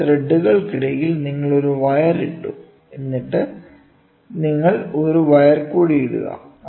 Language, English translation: Malayalam, Between 2 threads you just put a wire and then start so, if you have a thread